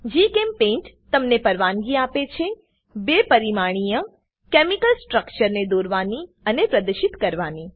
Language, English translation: Gujarati, GChemPaint allows you to, Draw and display two dimensional chemical structures